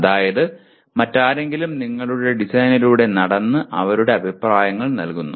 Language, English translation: Malayalam, That is somebody else walks through your design and gives his comments